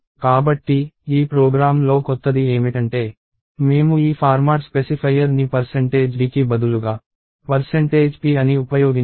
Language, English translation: Telugu, So, one thing that is new in this program is, we have used this format specifier called percentage p instead of percentage d